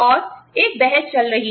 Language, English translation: Hindi, And, there is a debate, going on